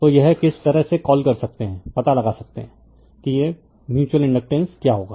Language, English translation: Hindi, So, this way you can your what you call you can find out what will be the mutual inductance right